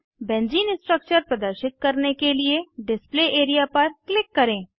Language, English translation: Hindi, Now click on the Display area to display Benzene structure